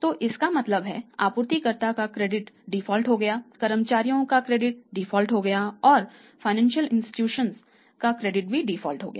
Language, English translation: Hindi, So, it means suppliers credit is also defaulted employees credit is also defaulted and financial institutions certainly and it is very clearly defaulted